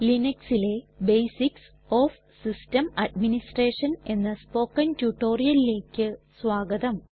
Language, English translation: Malayalam, Hello and welcome to the Spoken Tutorial on Basics of System Administration in Linux